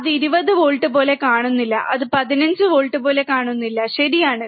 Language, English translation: Malayalam, Now do not do not go with this that it does not look like 20 volts, it does not look like 15 volts, right